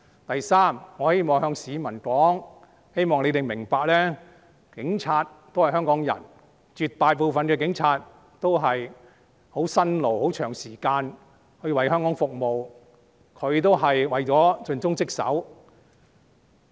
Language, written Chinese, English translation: Cantonese, 第三，我希望向市民說：我希望市民明白，警察也是香港人，絕大部分的警察也是十分辛勞地長時間為香港服務，他們是為了盡忠職守。, Third I wish to tell the public that I hope the public would understand that police officers are also Hongkongers and that a vast majority of police officers are working strenuously for long hours to provide services to Hong Kong and they are performing their duties faithfully